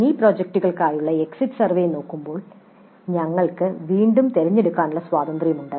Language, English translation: Malayalam, When you look at the exit survey for mini projects we have again options